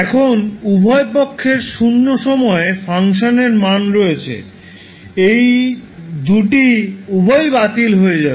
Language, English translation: Bengali, Now you have value of function at zero at both sides, those both will cancel out